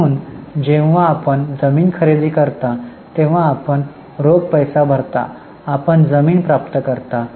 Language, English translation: Marathi, So, when you purchase land you pay cash you receive land